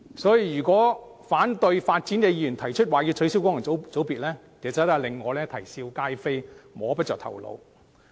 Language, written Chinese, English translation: Cantonese, 所以，反對發展的議員提出要取消功能界別，其實令我啼笑皆非，摸不着頭腦。, Therefore I actually find it ridiculous and baffling to hear the proposal for abolishing FCs from Members who oppose development